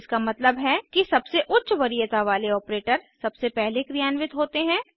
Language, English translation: Hindi, This means that the operator which has highest priority is executed first